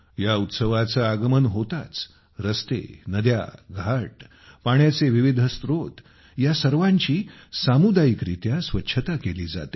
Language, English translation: Marathi, On the arrival of this festival, roads, rivers, ghats, various sources of water, all are cleaned at the community level